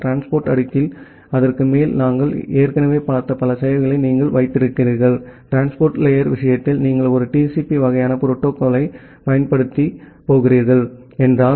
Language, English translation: Tamil, And then on top of that in the transport layer you have multiple services that we have already looked into, that in case of the transport layer, if you are going to use a TCP kind of protocol